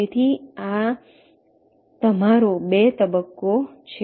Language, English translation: Gujarati, so this is your phase two